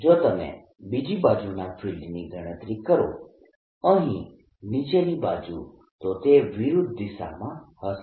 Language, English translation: Gujarati, if you calculate the field on the other side, the lower side, here this will be opposite direction